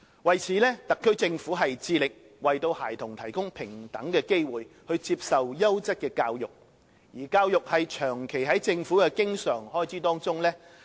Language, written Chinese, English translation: Cantonese, 為此，特區政府致力為孩子提供平等的機會接受優質教育，而教育長期在政府的經常開支上佔首位。, To this end the SAR Government is committed to providing children with equal opportunities of receiving quality education and education has consistently topped the list of recurrent expenditures of the Government